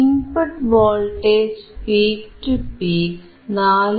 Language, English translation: Malayalam, The input voltage peak to peak is 4